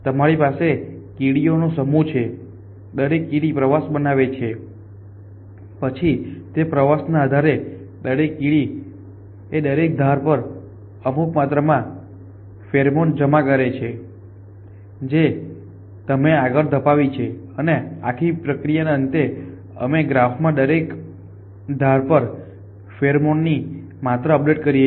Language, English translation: Gujarati, You have the set up ants each ant construct a tour then base on the 2 it is constructed each ant deposits a certain amount of pheromone on every edge that it has moved on and that the end of this whole process, we update the amount of pheromone on every edge in the graph